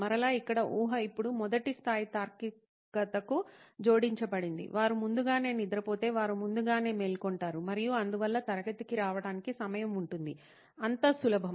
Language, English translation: Telugu, And again here the assumption now added to the first level of reasoning, they slept early, they would wake up early and hence would be on time to class, so as simple as that